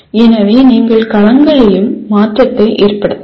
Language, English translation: Tamil, So you can have change in domains also